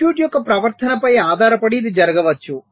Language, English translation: Telugu, this may so happen depending on the behavior of the circuit